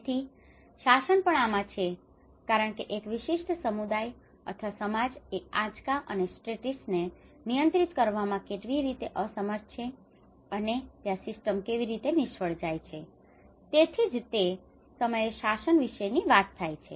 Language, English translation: Gujarati, So even the governance because how one particular community or society is unable to handle shocks and stresses and that is where a system how it fails, so that is where the time talk about the governance